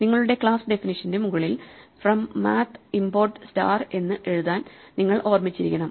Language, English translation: Malayalam, At the top of your class definition, you should have remembered to write from math import star